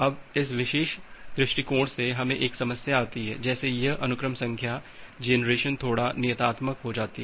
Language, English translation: Hindi, Now, with this particular approach we have a problem like this sequence number generation becomes little bit deterministic